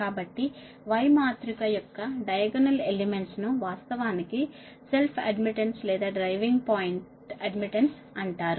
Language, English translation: Telugu, so diagonal elements of y matrix actually is not known as self admittance or driving point admittance